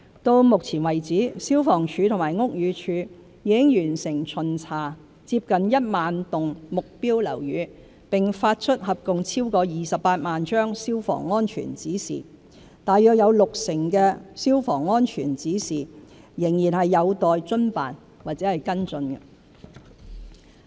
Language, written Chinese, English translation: Cantonese, 到目前為止，消防處和屋宇署已完成巡查近1萬幢目標樓宇並發出合共超過28萬張"消防安全指示"，有約六成的"消防安全指示"仍有待遵辦或跟進。, So far FSD and BD have completed the inspection of nearly 10 000 target buildings and issued a total of more than 280 000 Fire Safety Directions about 60 % of which have yet to be complied with or followed up